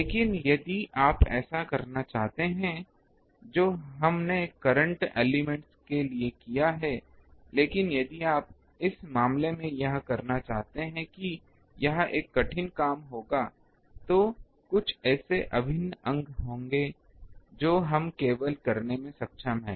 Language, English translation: Hindi, But, if you can want to do this which we have done for current element, but in this case if you want to do that it will be a tough job, there will be some integrals which we only able to do